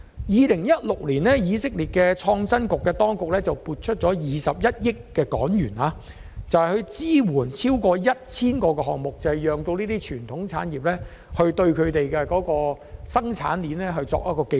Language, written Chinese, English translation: Cantonese, 2016年，以色列的創新局撥出21億港元，支援超過 1,000 個研發項目，讓傳統產業可提升生產技術。, In 2016 the Israel Innovation Authority allocated HK2.1 billion to support over 1 000 RD projects with the aim of improving the production technologies of the traditional industry